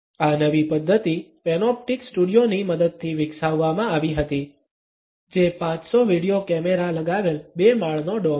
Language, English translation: Gujarati, This new method was developed with the help of the panoptic studio, which is a two story dome embedded with 500 video cameras